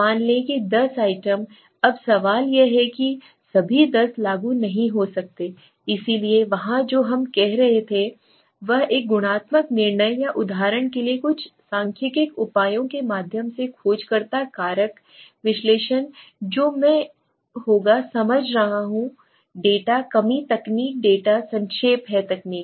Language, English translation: Hindi, Let say 10 items, now question is all 10 might not be as applicable, so there what we do is a qualitative judgment or through some statistical measures like for example the exploratory factor analysis which will be I will be explaining is the data reduction technique data summarize technique